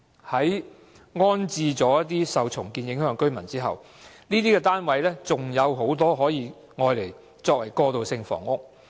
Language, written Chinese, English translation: Cantonese, 在安置受重建影響的住戶後，尚有很多單位可以用作過渡性房屋。, Subsequent to the rehousing of the affected households more housing units will be made available as transitional housing